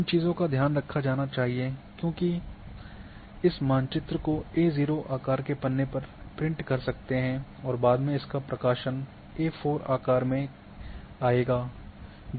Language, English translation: Hindi, The care must be taken because you might be printing at A0 size and later on this map in publication will come in A4 size